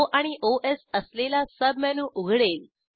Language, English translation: Marathi, A Submenu opens with O and Os